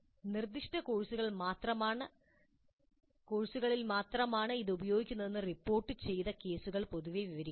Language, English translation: Malayalam, Reported cases also generally describe its use in specific courses only